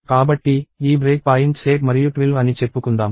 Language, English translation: Telugu, So, let us say these break points 8 and 12